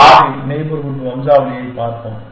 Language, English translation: Tamil, We will look at variable neighborhood descent